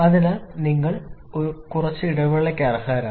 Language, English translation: Malayalam, So, you deserve little bit of break